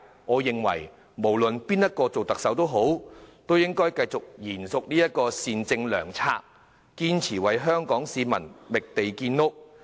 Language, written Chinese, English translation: Cantonese, 我認為無論誰人擔任下任特首，都應延續這善政良策，堅持為香港市民覓地建屋。, I think whoever is to become the Chief Executive should continue with this benevolent policy and persist in identifying lands to construct housing for Hong Kong people